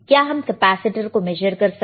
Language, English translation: Hindi, Can you measure the capacitor